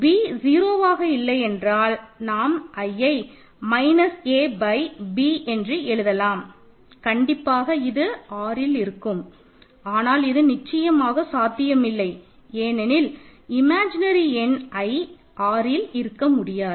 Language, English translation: Tamil, So, a is 0 supposed b is not 0, then we can write I as minus a by b which is of course in R this is obviously not possible right; the imaginary number i cannot be in R